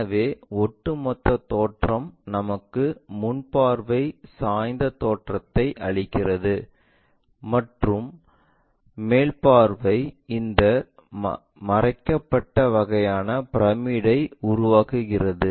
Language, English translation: Tamil, So, the overall construction gives us the front view looks like an inclined one and the top view makes this obscured kind of pyramid